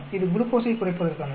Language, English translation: Tamil, It is meant for a lowering glucose